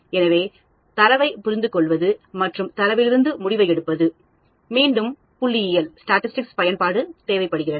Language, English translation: Tamil, So, interpreting the data and drawing conclusion from the data; again statistics come into play